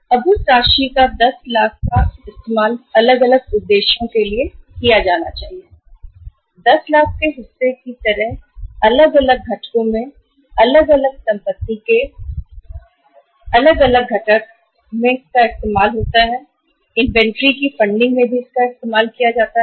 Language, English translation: Hindi, Now that amount 10 lakhs should be used for the different purposes means for for financing different assets in the different components like part of the 10 lakhs can be used for funding the inventory